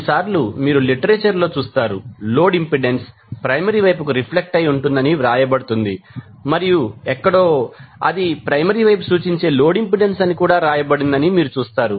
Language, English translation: Telugu, So, sometimes you will see in the literature it is written as the load impedance reflected to primary side and somewhere you will see that it is written as load impedance referred to the primary side